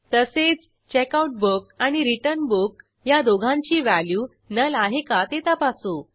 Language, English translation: Marathi, We also validate if Checkout book and Return Book is null